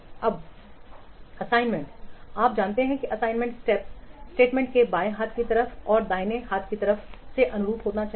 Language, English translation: Hindi, Then incompatible assignments, you know that in assignment statements, left hand side of the left hand side must correspond to the right hand side